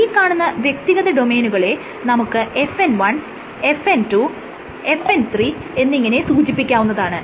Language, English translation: Malayalam, So, these individual domains are referred to as FN I, FN II and FN III domains